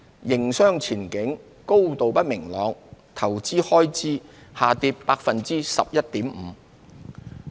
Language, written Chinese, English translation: Cantonese, 營商前景高度不明朗，投資開支下跌 11.5%。, Amid the highly uncertain business outlook investment expenditure fell by 11.5 %